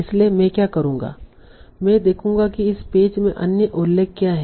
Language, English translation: Hindi, I will see what are the other mentions in this page